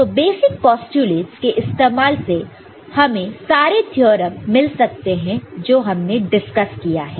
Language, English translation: Hindi, So, using the basic postulates you can get all the theorems that we have discussed